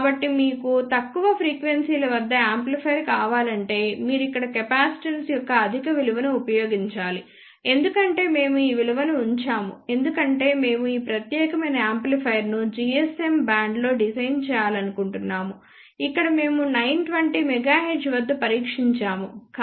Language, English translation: Telugu, So, if you want an amplifier at lower frequencies then you must use higher value of capacitance here we have kept these values because we wanted to design this particular amplifier in the GSM band you can see here we have tested at 920 megahertz